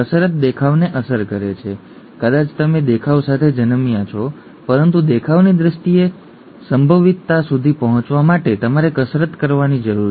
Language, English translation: Gujarati, The exercise affects the looks, maybe you are born with the looks but you need to exercise to reach the potential in terms of the looks